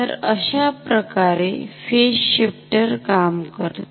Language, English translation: Marathi, So, this is how our phase shifter works